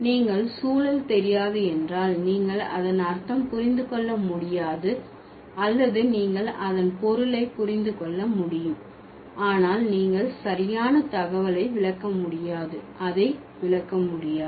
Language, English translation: Tamil, So, if you do not know the context, you cannot understand the meaning of it or you cannot, maybe you can understand the meaning, but you can't interpret the exact, like the exact information